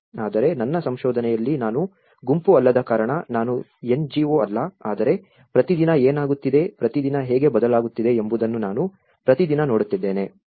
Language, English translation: Kannada, But in my research, I looked because I am not a group, I am not an NGO, but I am looking at everyday what is happening every day, how things are changing every day